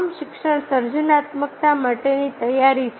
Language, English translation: Gujarati, all education is a preparation for creativity